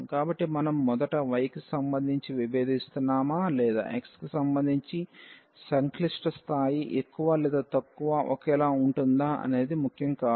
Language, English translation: Telugu, So, it will not matter whether we first differentiate with respect to y or with respect to x the complicacy level would be more or less the same